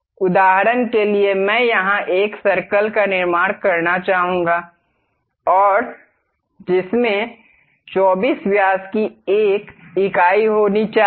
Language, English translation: Hindi, For example I would like to construct a circle here and that supposed to have a units of 24 diameters